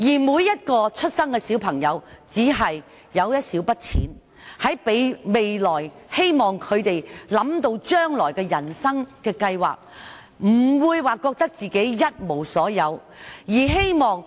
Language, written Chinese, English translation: Cantonese, 每位出生的小朋友也只是有一小筆錢，讓他們未來想到人生計劃時，不會覺得自己一無所有。, Every child at birth is given only a small sum of money so that when they plan for their life in future they will not feel that they have nothing to start with